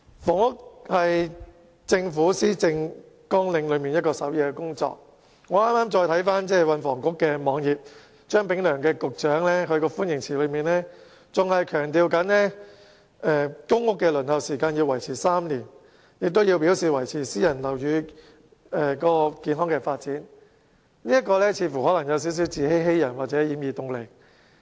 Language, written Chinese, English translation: Cantonese, 房屋是政府施政綱領的首要工作，我剛才瀏覽運輸及房屋局的網頁時發現，張炳良局長的歡迎辭依然強調公屋的輪候時間維持3年，並表示要維持私人物業市場的健康發展，這未免有點自欺欺人或掩耳盜鈴。, Housing is the top priority on the policy agenda . When I browsed the web page of the Transport and Housing Bureau just now I noticed that Secretary Prof Anthony CHEUNG still maintained in his welcome message that the average waiting time for PRH applicants was around three years and he also committed to maintaining the healthy development of the private residential property market . Nonetheless he is merely deceiving himself and others